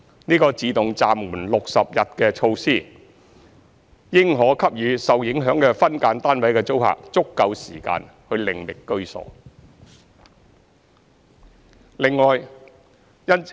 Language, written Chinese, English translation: Cantonese, 這個"自動暫緩 "60 日的措施，應可給予受影響的分間單位的租客足夠時間，另覓居所。, The proposed automatic stay of execution for 60 days should provide sufficient time for the affected SDU tenants to look for alternative accommodation